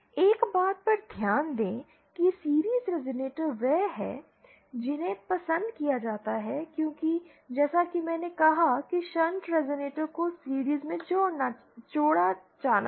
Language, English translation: Hindi, Note one thing that series resonators are the ones that are preferred because as I said shunt resonators have to be connected in series